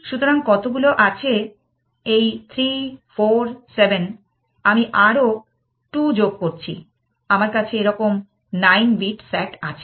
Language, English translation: Bengali, So, how many does this have 3, 4, 7 let me add 2 more, I have a 9 bit S A T like this